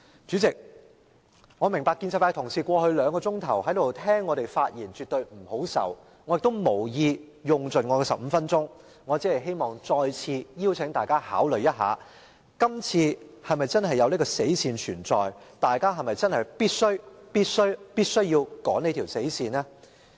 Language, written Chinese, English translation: Cantonese, 主席，我明白建制派同事在過去兩小時坐在這裏聆聽我們發言絕不好受，我亦無意用盡15分鐘的發言時間，我只想再次邀請大家考慮，今次是否真的有這條"死線"存在，大家是否真的必須、必須、必須要趕這條"死線"？, President I understand that it is by no means pleasant for Honourable colleagues of the pro - establishment camp to sit here and listen to our speeches for the past couple of hours nor do I have any intention of using all the 15 minutes . I only wish to invite Members to consider whether or not such a deadline really exists and whether or not Members definitely definitely definitely have to meet this deadline?